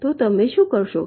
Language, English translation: Gujarati, so what you do